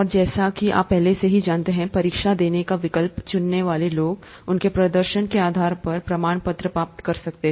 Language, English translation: Hindi, And as you would already know, the people who opt to take the exam are eligible for a certificate depending on their performance